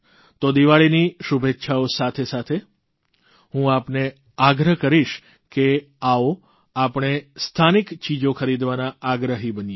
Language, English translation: Gujarati, Hence along with the best of wishes on Deepawali, I would urge you to come forward and become a patron of local things and buy local